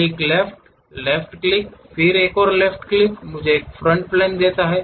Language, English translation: Hindi, Click, left click, then again one more left click gives me front plane